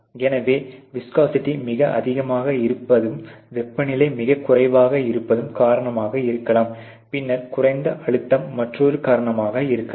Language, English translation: Tamil, So, viscosity too high may be one of the reasons temperature too low is another and then pressure to low is another